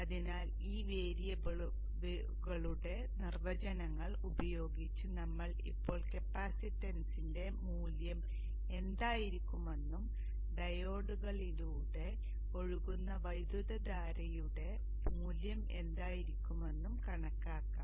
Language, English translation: Malayalam, So using these variables definition we shall now calculate what should be the value of the capacitance and also what should be the value of the currents that should flow through the diodes and such